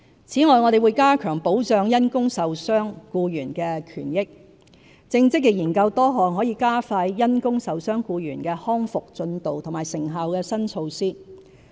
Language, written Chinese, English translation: Cantonese, 此外，我們會加強保障因工受傷僱員的權益，正積極研究多項可加快因工受傷僱員的康復進度和成效的新措施。, Besides we will strengthen the protection of the rights and benefits of employees injured at work and are actively looking into new measures to speed up their recovery and enhance effectiveness